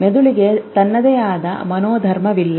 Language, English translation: Kannada, Brain has no temperament of its own